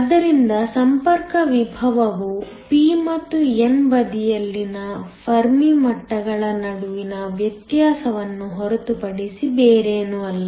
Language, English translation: Kannada, So, the contact potential is nothing but the difference between the Fermi levels on the p and the n side